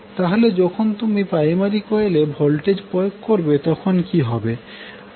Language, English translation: Bengali, When you apply voltage in the primary coil, so what will happen